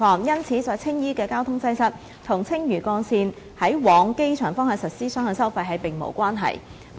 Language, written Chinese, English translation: Cantonese, 因此，在青衣的交通擠塞與青嶼幹線於往機場方向實施雙向收費並無關係。, Therefore the traffic congestion at Tsing Yi was not related to the implementation of two - way toll collection arrangement on the Airport bound of Lantau Link